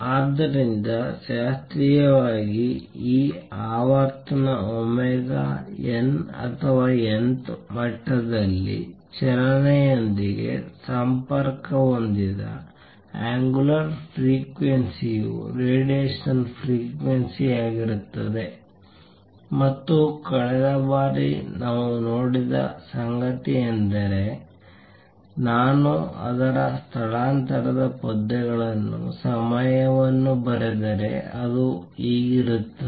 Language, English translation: Kannada, So, classically this frequency omega n or the angular frequency connected with the motion in the nth level will be the frequency of radiation and what we saw last time is that if I write its displacement verses time, it is like this